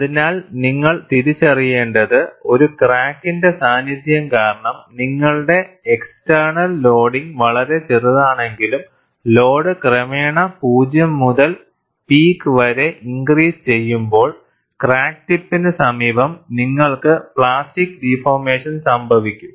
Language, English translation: Malayalam, So, what you have to recognize is, even though your external loading is much smaller, because of the presence of a crack, when the load is increased gradually from to 0 to peak, invariably, you will have plastic deformation near the crack tip